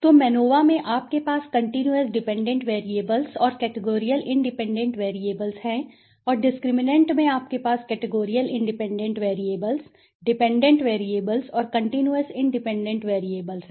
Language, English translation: Hindi, So, in MANOVA you have the continuous dependent variables and your categorical independent variables and in discriminant you have categorical independent variables dependent variables and continuous independent variables right, so that is the difference, okay